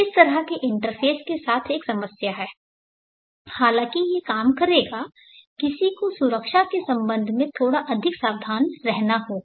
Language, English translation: Hindi, One problem with such an interface is though it will work one has to be a bit more careful with respect to safety